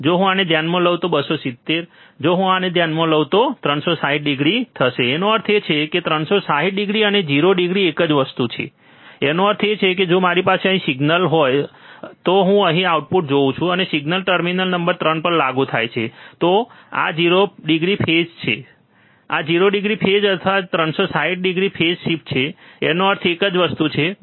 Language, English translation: Gujarati, If I consider this one, 270 if I consider this one, 360 degree; that means, 360 degree and 0 degree is the same thing; that means that, if I have a signal here I see the output here and the signal is applied to terminal number 3, then this is 0 degree phase this is also 0 degree phase or 360 degree phase shift, it means same thing, right